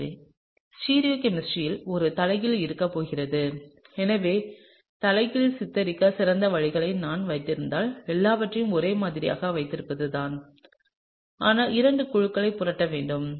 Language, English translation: Tamil, And so, there is going to be an inversion in stereochemistry and so if I keep the best way to depict inversion is to keep everything the same, but just flip two of the groups